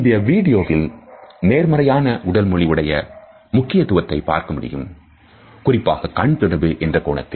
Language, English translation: Tamil, In this video we can look at the significance of positive body language particularly from the perspective of eye contact